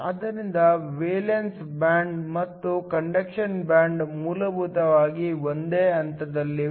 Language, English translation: Kannada, So, the valence band and the conduction band are essentially located at the same point